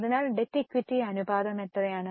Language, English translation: Malayalam, So, what is the debt equity ratio